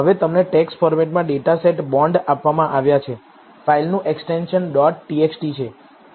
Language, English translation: Gujarati, Now you have been given the data set bonds in the text format, the extension of the file is dot \txt"